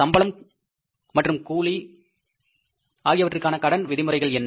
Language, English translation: Tamil, For the salaries and wages, what are the credit terms